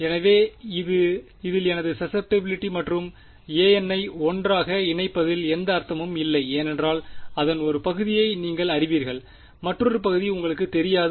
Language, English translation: Tamil, So, there is no point in combining x n and a n into 1 because you know part of it and you do not know another part